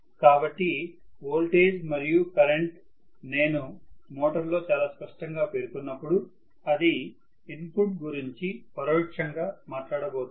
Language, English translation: Telugu, So, voltage and current when I specify very clearly in a motor it is going to indirectly talk about the input